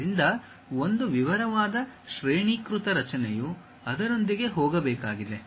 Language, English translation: Kannada, So, a detailed hierarchical structure one has to go with that